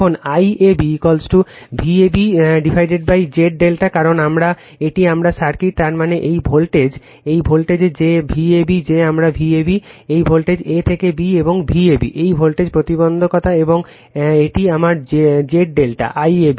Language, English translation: Bengali, Now, I AB is equal to V AB upon Z delta because, this is my circuit; that means, this voltage your this voltage right that your V AB that is my V AB, this voltage A to B and is equal to V ab right, same voltage impedance and this is my Z delta I AB